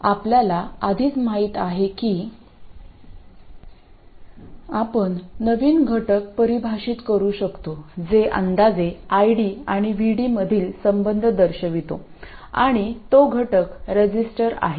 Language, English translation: Marathi, Now we already know that we can define a new element which approximately shows the relationship between ID and VD and that element is a resistor